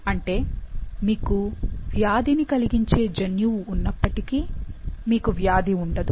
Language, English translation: Telugu, That is you have the disease causing gene, but you don't have the decease